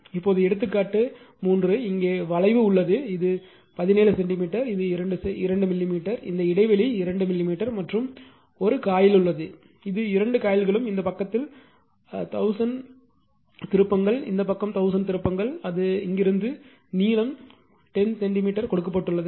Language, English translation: Tamil, Now example 3, this is also one, where here is 1, 1 limb is there this is 17 centimeters right, this is 2 millimeter, this gap is 2 millimeter and 1 coin is there it is own, like this there both the coils this side 1000 turns this side is 1000 turns, here it is from here to here the length is given 10 centimeter